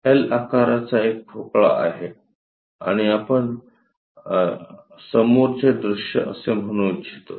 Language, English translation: Marathi, A block in L shape and we would like to say this one as the front view